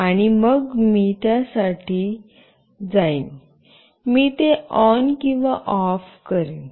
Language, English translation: Marathi, And then only I will go for it, I will make it on or off